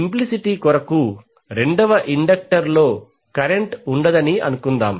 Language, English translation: Telugu, For the sake of simplicity let us assume that the second inductor carries no current